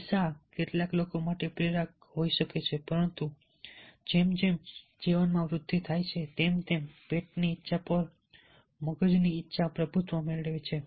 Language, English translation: Gujarati, money may be a motivator for some people, but age, when grows in life, then the desire of the brain dominates over the desire of the belly